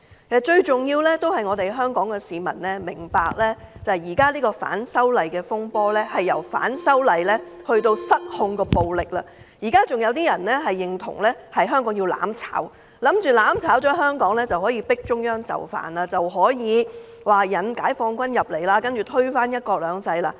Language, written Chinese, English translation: Cantonese, 其實重點仍是香港市民要明白，現時反修例的風波已經由反修例變成失控的暴力，有人仍然認同香港要"攬炒"，以為這樣香港便可以迫使中央就範，可以引解放軍進港，然後推翻"一國兩制"。, Actually a key point is that Hong Kong people need to know that the anti - extradition bill altercation has evolved into uncontrollable violence . Some people still think that mutual destruction is an option for Hong Kong . They hold that this can force the Central Government to give in and induce the Peoples Liberation Army into Hong Kong and then veto the principle of one country two systems